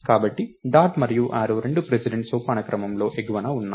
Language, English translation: Telugu, So, both dot and arrow are actually at the top of precedence hierarchy